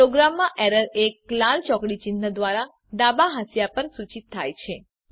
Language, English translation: Gujarati, In a program, Error is denoted by a red cross symbol on the left margin